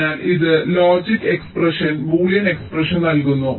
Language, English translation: Malayalam, so this gives ah logic expression, boolean expression